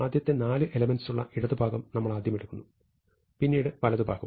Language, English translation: Malayalam, So, we take the left part, which is the first four elements, and the right part